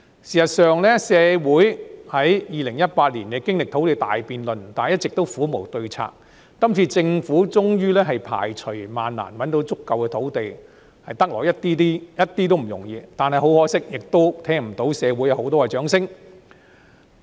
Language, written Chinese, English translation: Cantonese, 事實上，社會在2018年經歷土地大辯論，但一直苦無對策，政府今次終於排除萬難覓得足夠土地，一點也不容易，但很可惜，同樣聽不到社會有很多的掌聲。, In fact despite going through the big debate on land supply in 2018 the community has been struggling to find a solution . This time against all odds the Government has finally identified sufficient land . This is no mean feat at all